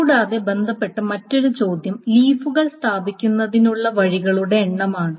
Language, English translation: Malayalam, And the other question related question is the number of ways leaves can be placed